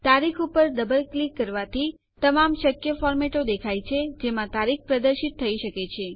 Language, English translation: Gujarati, Double clicking on the date shows all the possible formats in which the date can be displayed